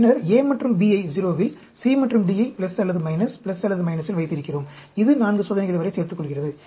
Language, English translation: Tamil, Then, we have A and B at 0, C and D on plus or minus, plus or minus, that adds up to 4 experiments